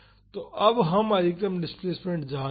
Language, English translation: Hindi, So, now we know the maximum displacement